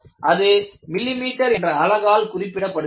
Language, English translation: Tamil, It is in terms of millimeters